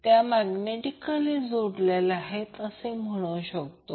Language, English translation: Marathi, So we can say that they are simply magnetically coupled